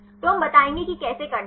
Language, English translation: Hindi, So, we will explain how to do that